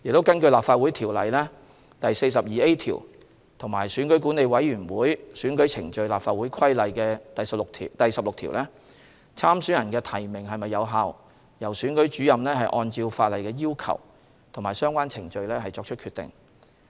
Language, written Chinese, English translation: Cantonese, 根據《立法會條例》第 42A 條和《選舉管理委員會規例》第16條，參選人的提名是否有效，由選舉主任按照法例的要求及相關程序作出決定。, In accordance with section 42A of LCO and section 16 of the Electoral Affairs Commission Regulation whether a candidates nomination is valid or not is determined by the Returning Officer according to the legal requirements and relevant procedures